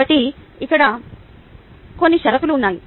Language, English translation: Telugu, so here are some of the conditions